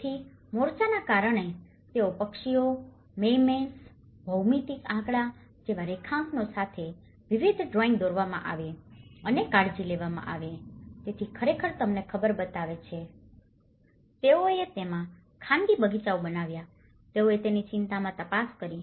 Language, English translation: Gujarati, So, the fronts have been taken care of because they have painted with various murals with drawings like birds, mermaids, geometric figures, so this actually shows you know, they made them private gardens into it, they looked into the green concerns of it